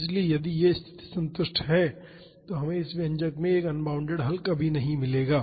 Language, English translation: Hindi, So, if this condition is satisfied then we will never get an unbounded solution from this expression